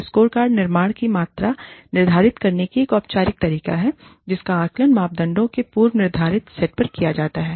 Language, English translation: Hindi, A scorecard is a formal method of quantifying the construct, that is being assessed, on a pre determined set of parameters